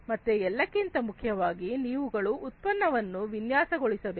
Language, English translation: Kannada, So, first of all you need to design, you need to design the product